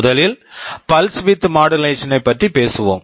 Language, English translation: Tamil, First let us talk about pulse width modulation